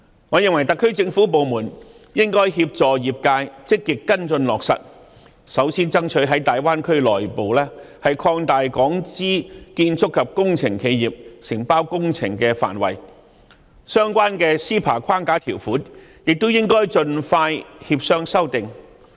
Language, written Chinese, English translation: Cantonese, 我認為特區政府部門應該協助業界積極跟進落實，首先爭取在大灣區內部擴大港資建築及工程企業承包工程的範圍，相關的 CEPA 框架條款亦應該盡快協商修訂。, I think the SAR Government should assist the industries in actively following up the implementation by firstly striving to expand the scope of works undertaken by Hong Kong - funded construction and engineering enterprises in the Greater Bay Area and negotiation should be conducted expeditiously on amendment of the relevant provisions under the CEPA framework accordingly